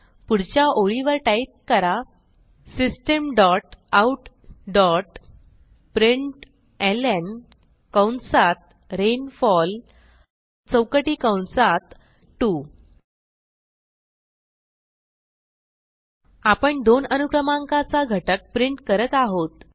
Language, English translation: Marathi, So on the Next line, type System dot out dot println rainfall in square brackets type 2 We are printing the element with the index number 2